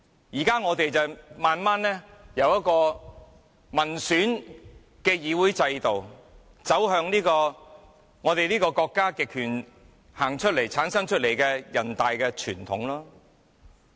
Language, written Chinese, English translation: Cantonese, 現在我們逐步由一個民選議會制度，走向國家極權產生出來的人大傳統。, From a system of an elected legislature we are walking gradually towards the NPC tradition created by a totalitarian government